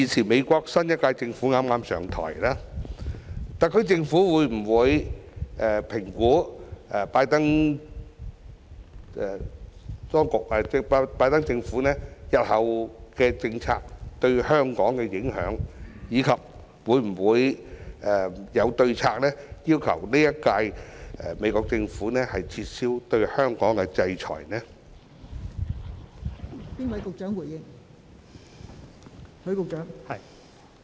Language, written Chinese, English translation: Cantonese, 美國新一屆政府剛剛上台，特區政府會否評估拜登政府日後的政策對香港的影響，以及有否制訂對策要求美國新一屆政府撤銷對香港的制裁？, As the new US Administration has just assumed office will the SAR Government assess the effects of the BIDEN Administrations forthcoming policies on Hong Kong; and has the Government formulated any strategies to ask the new US Administration to withdraw the sanctions on Hong Kong?